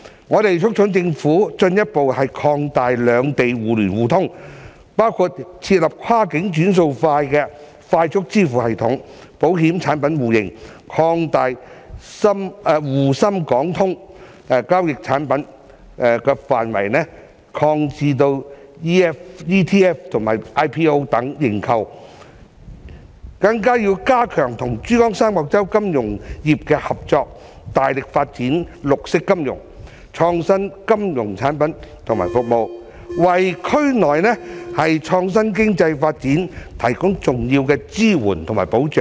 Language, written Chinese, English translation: Cantonese, 我們促請政府進一步擴大兩地互聯互通，包括設立跨境"轉數快"的快速支付系統、保險產品互認、擴大"滬深港通"交易產品範圍至 ETF 及 IPO 認購等，更要加強與珠江三角洲金融業的合作，大力發展綠色金融、創新金融產品與服務，為區內創新經濟發展提供重要的支援及保障。, We urge the Government to further expand the interconnection and interoperability between the two places including the establishment of a cross - border faster payment system mutual recognition of insurance products expansion of the scope of trading products under the ShanghaiShenzhen - Hong Kong Stock Connect to include ETF and IPO subscriptions and so on . We should also strengthen cooperation with the financial industry in the Pearl River Delta and vigorously develop green finance and innovative financial products and services so as to provide important support and protection for the development of the innovative economy in the region